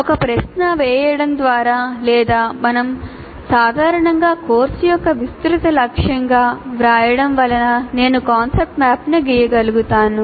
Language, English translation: Telugu, So by posing as a question or what we generally write as broad aim of the course, from there I can draw the concept map